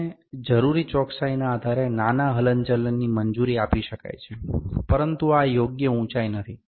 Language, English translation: Gujarati, A small movement can be allowed like depending upon the accuracy that we required, but this is not the correct height